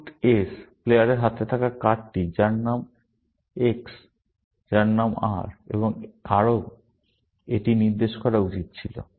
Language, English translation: Bengali, The card held by player of suit S, whose name is X, and whose name is R, and somebody should have pointed this out